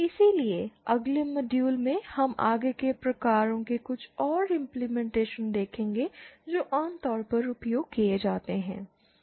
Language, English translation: Hindi, So in the next module, we will see some further implementations further types of filters that are used commonly